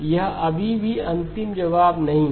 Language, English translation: Hindi, This is still not the final answer